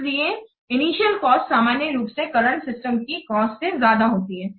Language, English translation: Hindi, So the initial cost, normally it will exceed than that of the cost of the current system